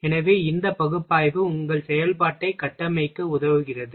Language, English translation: Tamil, So, this analysis helps in a structuring of your operation